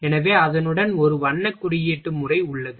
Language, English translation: Tamil, So, there is a colour coding with that